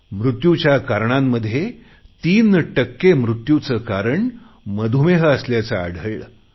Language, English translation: Marathi, Diabetes was found to be the cause of death in three per cent of all deaths